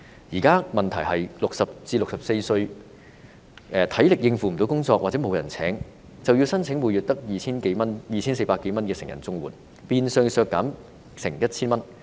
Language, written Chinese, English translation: Cantonese, 現在的問題是 ，60 至64歲的人，如果沒有足夠體力應付工作或沒有人聘請，便須申請每月只有 2,400 多元的成人綜援，金額變相削減接近 1,000 元。, Now the problem is that for people aged between 60 and 64 if they are not physically fit to cope with the job requirements or if they are unemployable they will have to apply for the CSSA rate for adults which is only some 2,400 a month meaning that they will receive almost 1,000 less